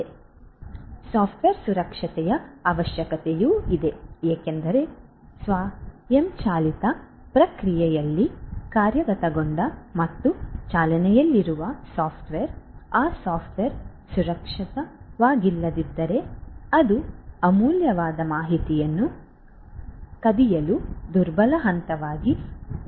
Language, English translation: Kannada, So, there is need for software security, because if the software that is implemented and is running in the automation process, if that software is not secured that can pose as a vulnerable point to steal valuable information